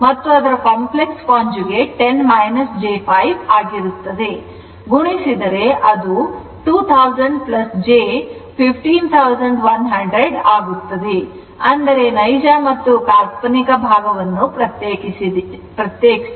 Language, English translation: Kannada, Therefore, if you multiply it will become 2 thousand plus j 15 100 right so; that means, separate real and imaginary part